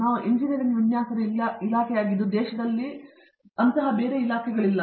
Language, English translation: Kannada, We are a department of engineering design, which there are not many of such departments in the country